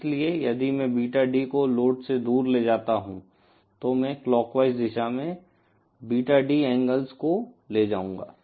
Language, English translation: Hindi, So, if I move Beta D away from the load, I will be moving 2 Beta D angles in clockwise direction